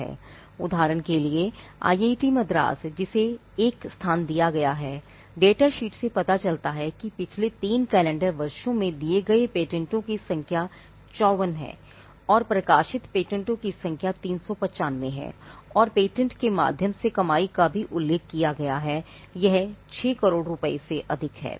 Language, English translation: Hindi, For instance, IIT Madras which has been ranked 1, the data sheet shows that the number of patents granted is 54 in the last 3 calendar years and the number of published patents is 395 and the earnings through patent is also mentioned that in excess of 6 crores